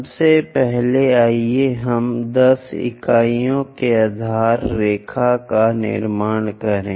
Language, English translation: Hindi, First of all, let us construct a baseline of 10 units